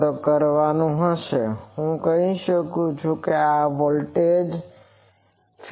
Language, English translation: Gujarati, So, I can say that this voltage let us say in phase voltage